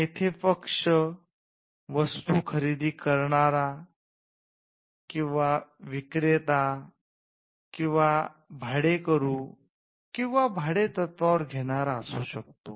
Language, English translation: Marathi, So, the parties here could be, the buyer or the seller or the lessee or lesser